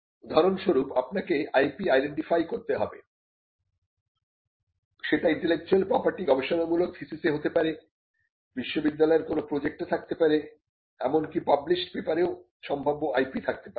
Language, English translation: Bengali, For instance, you need to identify the IP, they could be intellectual property in research thesis’s, they could be in some project in a university, they could be potential IP even in papers that are published